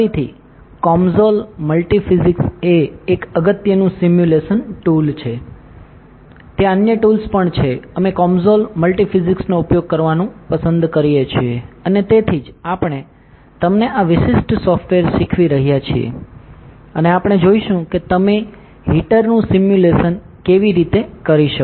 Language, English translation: Gujarati, Again, COMSOL multi physics is extremely important simulation tool there are other tools as well, we prefer to use COMSOL multiphysics and that is why we are teaching you this particular software and we will be looking at how can you simulate the heater